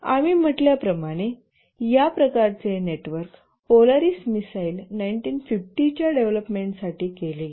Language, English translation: Marathi, This kind of network, as we said, was done for development of the Polaris missile 1950s